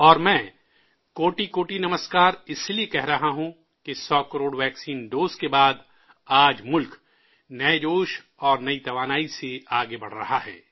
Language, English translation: Urdu, And I am saying 'kotikoti namaskar' also since after crossing the 100 crore vaccine doses, the country is surging ahead with a new zeal; renewed energy